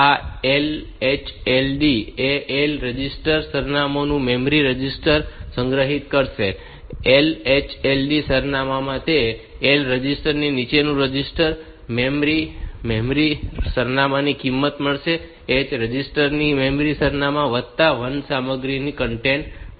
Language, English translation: Gujarati, LHLD it will be storing the L register, the memory register of address, LHLD address in that L register will get the lower register will get the value of the memory address and the H register will get the content of memory address plus 1